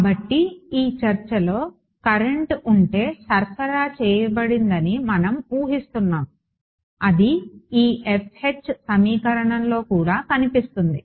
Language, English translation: Telugu, So, in this discussion we are assuming there is no current supplied if there were a current then it would also appear in this F H equation ok